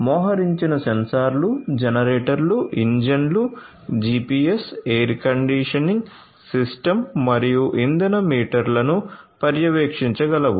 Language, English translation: Telugu, The sensors that are deployed can monitor generators, engines, GPS, air conditioning systems and fuel meters